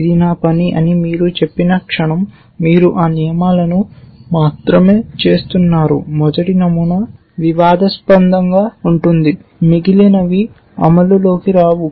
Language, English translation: Telugu, The moment you said this is my task I am doing only those rules which have that as the first pattern will be in contention the rest will not come into play